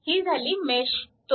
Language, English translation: Marathi, So, mesh 2